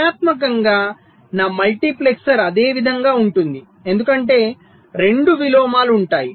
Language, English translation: Telugu, so functionally my multiplexer remains the same because there will be two inversions